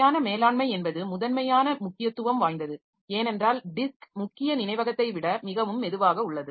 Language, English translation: Tamil, Then proper management is of central importance because the disk is much slower than main memory